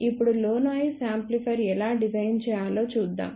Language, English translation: Telugu, Now, we will look at how to design low noise amplifier